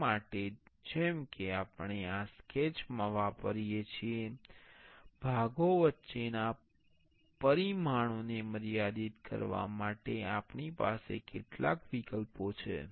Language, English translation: Gujarati, For that, as we use in this sketch, we have some options for constraining the parts constraining the dimension between parts